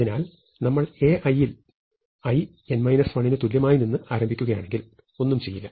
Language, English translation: Malayalam, So, if you are going to start from A i is equal to n minus 1 to n minus 1, then we do nothing, right